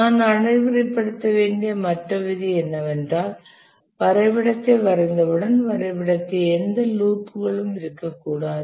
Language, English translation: Tamil, The other rule that we must enforce is that once we draw the diagram, there should not be any loops in the diagram